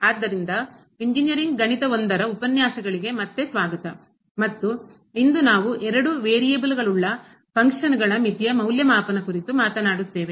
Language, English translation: Kannada, So, welcome back to the lectures on Engineering Mathematics I and today, we will be talking about Evaluation of Limit of Functions of two variables